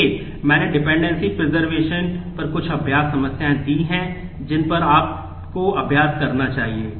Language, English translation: Hindi, So, I have given some practice problems on dependency preservation which you should practice on to